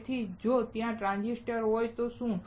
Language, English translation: Gujarati, So, what if there is a transistor